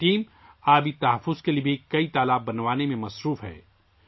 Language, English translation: Urdu, This team is also engaged in building many ponds for water conservation